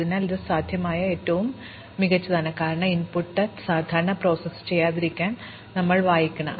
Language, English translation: Malayalam, So, this is the best possible, because we have to read the input in order to process it typically